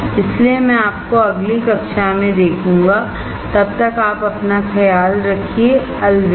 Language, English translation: Hindi, So, I will see you in the next class, till then you take care of yourself, bye